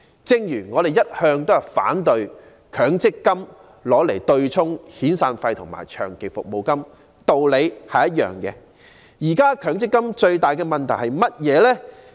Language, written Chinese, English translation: Cantonese, 正如我們一向也反對強積金與遣散費及長期服務金對沖的原因一樣，現時強積金最大的問題是甚麼？, We have always opposed the offsetting of long service payment and severance payment against MPF contributions and for the same reason we take issue with the biggest problems of MPF today . What are those problems?